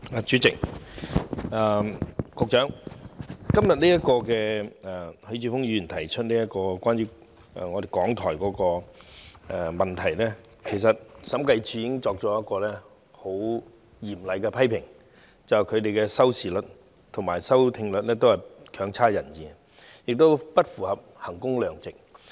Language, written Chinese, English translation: Cantonese, 主席，局長，關於許智峯議員今天提出這項有關港台的質詢，其實審計署已經作出嚴厲批評，指他們的收視率和收聽率都欠佳，不符合衡工量值原則。, President Secretary as regards Mr HUI Chi - fungs question on RTHK today the Audit Commission has in fact already made severe criticisms that their unsatisfactory viewing and listening rates do not conform to the principle of value for money